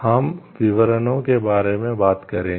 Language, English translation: Hindi, We will discuss details of it